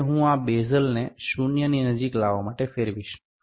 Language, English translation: Gujarati, Now, I will rotate this bezel to bring it close to zero